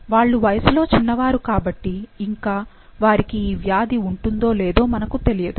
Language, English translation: Telugu, They are young, so we don't know that whether they would have the disease or not